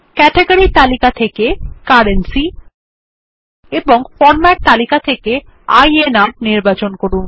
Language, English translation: Bengali, Select Currency from the Category List and INR from the Format List